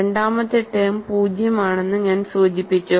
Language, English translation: Malayalam, Mind you the second term is 0 here